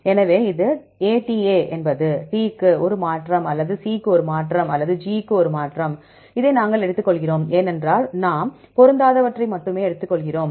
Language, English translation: Tamil, So, it is ATA is, A change to T or A change to C or A change to G, we take this one because we take only the mismatches